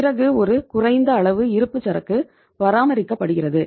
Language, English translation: Tamil, Then you have the minimum level of inventory maintained